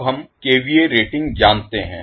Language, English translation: Hindi, Now, we know the kVA ratings